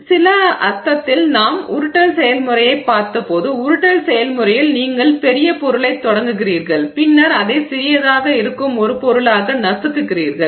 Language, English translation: Tamil, So, in some sense when we looked at the rolling process, so the rolling process you are starting with a material which is large and then crushing it into a material that is smaller